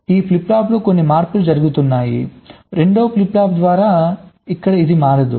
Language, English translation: Telugu, some changes are going on in this flip flop by the second flip flop and here this out will not change to so roughly